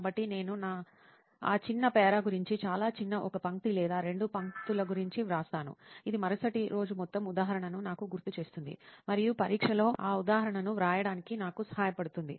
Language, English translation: Telugu, So I just write about that short para, very short one line or two lines, which will recollect me the entire example the next day and which will help me to write down that example in the exam